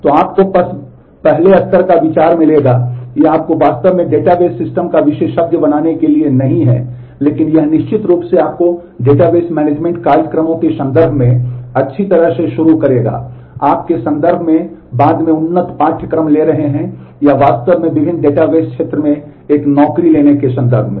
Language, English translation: Hindi, So, you will just get a first level idea, this is not to make you really an expert of database systems, but this will certainly get you started well in terms of the database management programs, in terms of you are taking up advanced courses later on or in terms of actually taking up a job in different database area